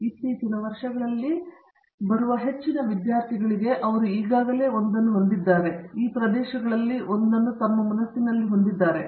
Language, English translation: Kannada, And, most of the students in the recent years who come, they already have one or these, one or the other of these areas in their mind